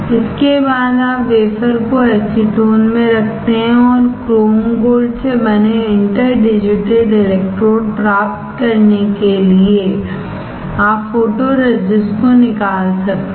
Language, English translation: Hindi, After this you place the wafer in acetone and you can remove the photoresist to obtain for interdigitated electrodes made from chrome gold